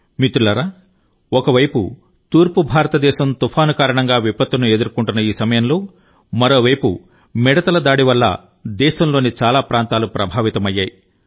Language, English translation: Telugu, on the one side where Eastern India is facing cyclonic calamity; on the other many parts of the country have been affected by locust attacks